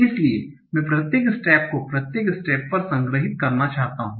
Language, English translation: Hindi, So I want to store at each step for each state